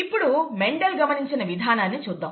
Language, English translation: Telugu, Now let us see the way the Mendel, the way Mendel saw it